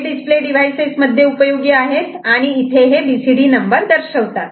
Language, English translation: Marathi, And this is useful for display devices of an these BCD numbers are displayed